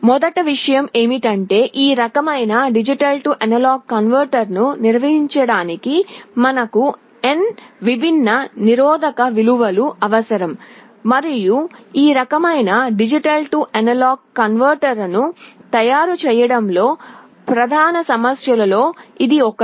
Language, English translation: Telugu, The first thing is that to construct this kind of a D/A converter, we need n different resistance values, and this is one of the main problems in manufacturing this kind of D/A converter